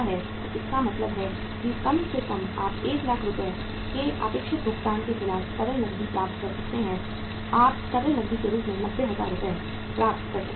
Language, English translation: Hindi, So it means at least you could get the liquid cash against the expected payment of 1 lakh rupees you could get the 90,000 Rs as the liquid cash